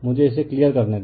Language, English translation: Hindi, Let me clear it